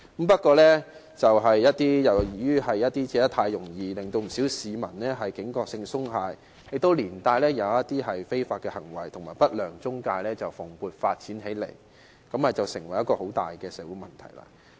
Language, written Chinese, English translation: Cantonese, 不過，由於借貸太容易，令不少市民的警覺性鬆懈，而一些違法行為及不良中介蓬勃發展起來，成為一個很大的社會問題。, Yet many members of the public have lowered their vigilance as it is very easy to get a loan and there has been vigorous growth in illegal acts and unscrupulous intermediaries which became a serious social problem